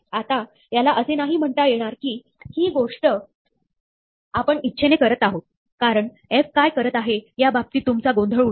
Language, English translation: Marathi, Now, this is not to say that, this is a desirable thing to do, because you might be confused as to what f is doing